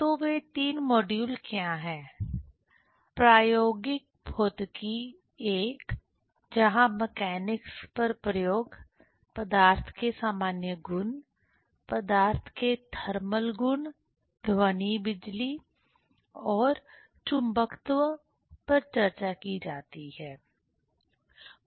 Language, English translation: Hindi, So, what are those 3 modules: the experimental physics I, where experiments on mechanics, general properties of matter, thermal properties of matter, sound electricity and magnetism are discussed